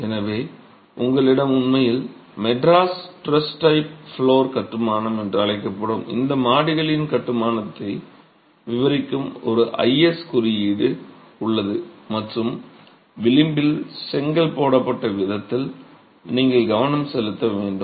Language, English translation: Tamil, So, you have actually an IS code that details the construction of these floors called Madras Terrace type floor construction and you must pay attention to the way the brick is laid on edge and the way it is constructed, it's a unique process in which this floor is constructed